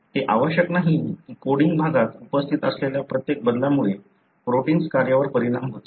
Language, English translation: Marathi, It is not necessary that every change that is present in the coding region should affect the protein function